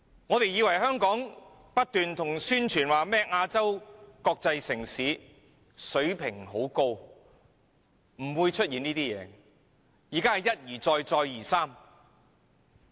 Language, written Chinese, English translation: Cantonese, 大家以為香港不斷宣傳是亞洲國際城市，擁有很高水平，理應不會出現這些問題，但現在卻一而再、再而三地出現。, As Hong Kong has been promoted as Asias world city of a very high standard such problems should not have existed yet inferiour projects have been found one after another